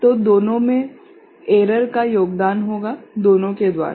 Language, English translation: Hindi, So, the error will be contributed both by both of them